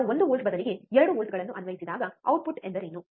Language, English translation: Kannada, When we applied 2 volts instead of 1 volt, what is the output